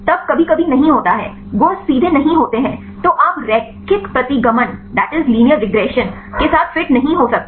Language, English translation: Hindi, Then sometimes is not, properties are not straightforward; so, you cannot fit with the linear regression